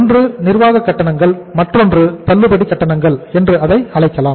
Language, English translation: Tamil, Number one is the administrative charges or the discount charges you can call it as